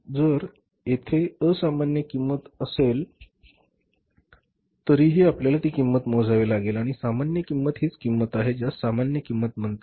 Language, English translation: Marathi, So if there is abnormal cost we have to pay that and normal cost we know is that what is the normal cost